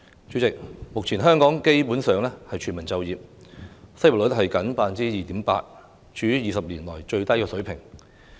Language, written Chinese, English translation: Cantonese, 主席，目前香港基本上是全民就業，失業率僅 2.8%， 處於20年來最低水平。, President Hong Kong has essentially achieved full employment at present with the unemployment rate standing at only 2.8 % a record low in 20 years